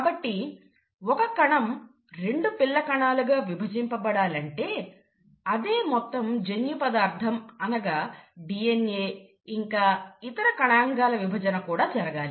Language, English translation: Telugu, So, if a cell has to divide into two daughter cells, it has to pass on the same amount of genetic material, which is DNA